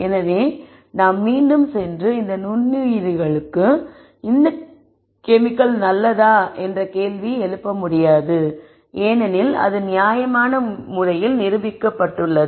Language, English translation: Tamil, So, we cannot re ally go back and question whether this chemical is good for this microorganism because that has been demonstrated reasonably well